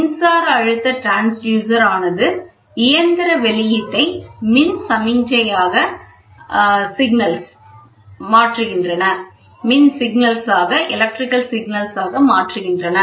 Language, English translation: Tamil, It transforms a mechanical displacement into an electrical signal